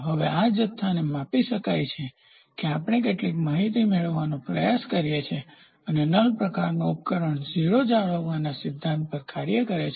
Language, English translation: Gujarati, Now this quantity can be measured with that we try to get some information a null type device works on the principle of maintaining a 0